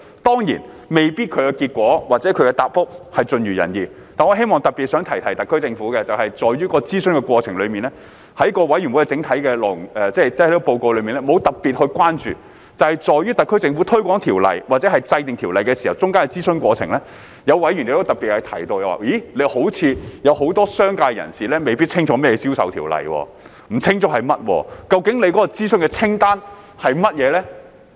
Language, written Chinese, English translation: Cantonese, 當然，其結果或答覆未必盡如人意，但本人希望特別想提提特區政府，就是在這諮詢的過程中，法案委員會的整體報告內沒有提出特別的關注，而在於特區政府推廣條例或制定條例中間的諮詢過程，有委員特別提到似乎很多商界人士未必清楚甚麼是銷售條例，既然不清楚它是甚麼，更不知道究竟諮詢清單是甚麼。, Of course the results or replies may not be entirely satisfactory but I would like to remind the SAR Government in particular that while no particular concern was raised in the overall report of the Bills Committee during the consultation exercise during the consultation exercise or in the course of promoting or formulating the Ordinance some members mentioned in particular that many people in the business sector seemed to know little about the Ordinance concerning the sale of goods and since they did not know what it was all about they did not know what the consultation list was